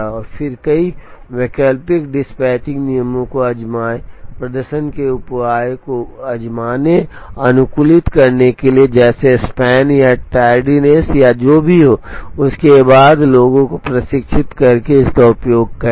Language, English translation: Hindi, And then try out several alternative dispatching rules, to try and optimize the performance measures, like a make span or a tardiness or whatever, and then use it accordingly by training the people